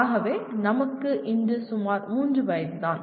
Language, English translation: Tamil, So we are only about 3 years old as of today